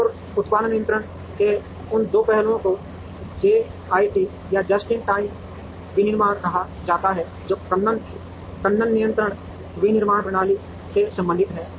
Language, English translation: Hindi, And those two aspects of production control are called JIT or Just in Time manufacturing, which also deals with kanban controlled manufacturing systems